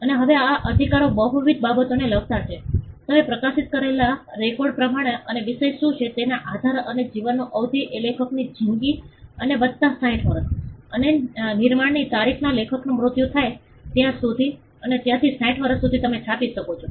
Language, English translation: Gujarati, And now these rights pertain to multiple things, you can print as I said published perform record and depending on what the subject matter is and the duration of life is life of the author and plus 60 years so, from the date of creation till the author dies and 60 years from there on